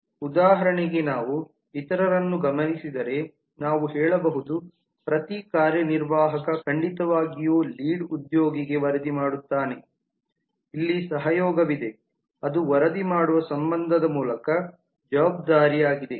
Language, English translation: Kannada, we can say that for example if we look into some others then we can say that every executive reports to lead certainly there is a collaboration here which is through the reporting relationship the responsibility